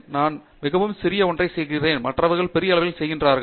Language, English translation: Tamil, I am doing something so small, other people are doing great